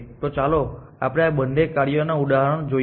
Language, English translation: Gujarati, So, let us look at examples of both this functions